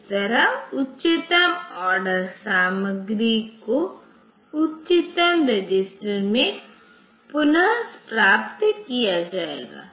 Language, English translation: Hindi, That way the highest order content will be retrieved in to the highest register